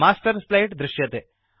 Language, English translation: Sanskrit, The Master Slide appears